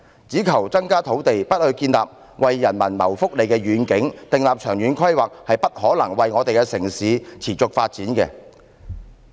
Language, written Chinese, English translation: Cantonese, 只求增加土地，而不建立為人民謀福利的願景或訂立長遠規劃，城市是不可能持續發展的。, If we merely seek more land without establishing a vision or conducting long - term planning for the benefit of the people it is impossible for our city to have sustainable development